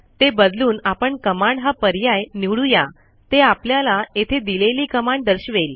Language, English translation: Marathi, I can change it to command and it will show me the command